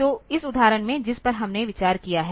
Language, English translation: Hindi, So, in this example that we have considering